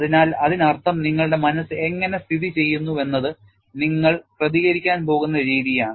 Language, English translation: Malayalam, So that means, how your mind is conditioned is the way you are going to react